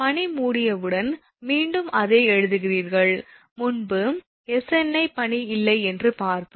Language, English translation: Tamil, When ice covered, then again same thing, you write, earlier we saw Sni that is no ice